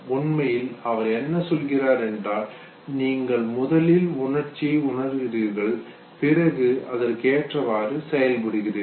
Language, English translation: Tamil, So what actually he was saying was, that it is not that know you first feel the emotion and then you respond to it, okay